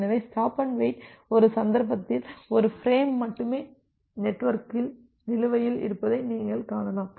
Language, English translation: Tamil, So, in stop and wait you can see that at one instance of time, only one frame can be outstanding in the network